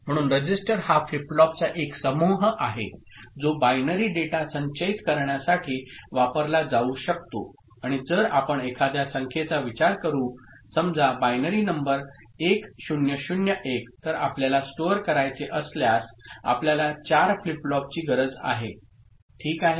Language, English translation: Marathi, So, register is a group of flip flops that can be used to store binary data and if we think of say a binary numbers say 1001, if you want to store then we need of course, 4 flip flops ok